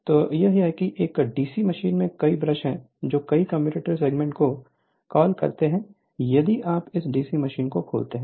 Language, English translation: Hindi, So, that is your that is you have in a DC machine you have several your brushes you are what you call several commutator segment if you see that open DC machine